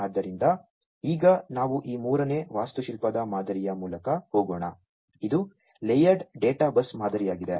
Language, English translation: Kannada, So, now let us go through this third architectural pattern, which is the layered databus pattern